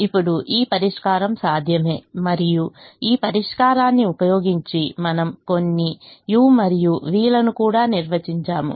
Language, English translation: Telugu, now this solution is feasible and using this solution, we also ah defined some u's and v's